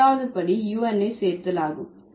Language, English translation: Tamil, Third step is the addition of un